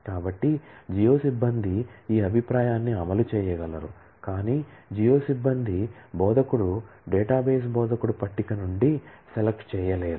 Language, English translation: Telugu, So, the geo staff will be able to execute this view, but the geo staff will not be able to do a select on from the instructor database instructor table